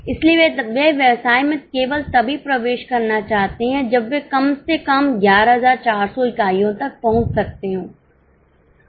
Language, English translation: Hindi, So, they would like to enter the business only if they can at least reach 11,400